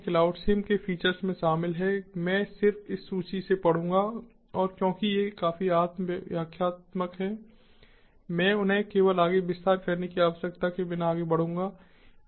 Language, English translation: Hindi, features of cloud sim include: i will just read from this list and because these are quite self explanatory, i would simply lead them without actually needing to expend them in further detail